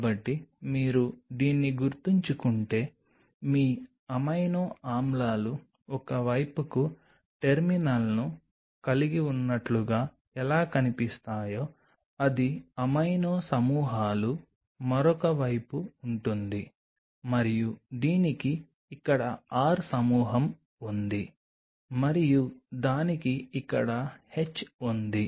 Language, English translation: Telugu, So, if you remember this is how your amino acids will look like it has coo terminal on one side it is amino groups one other side and it has a R group here and it has a H here right